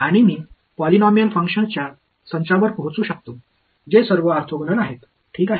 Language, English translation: Marathi, And, I can arrive at a set of functions that are polynomial function which are all orthogonal to each other ok